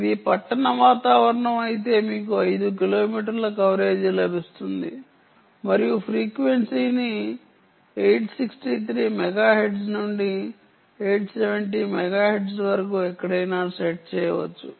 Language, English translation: Telugu, if it is an urban environment you will get five kilometer coverage and the frequency can be set anywhere from eight, sixty three megahertz to eight hundred and seventy megahertz